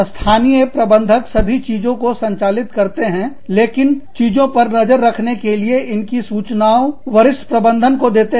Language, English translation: Hindi, Local managers handle everything, but report to senior management, to keep a tab on things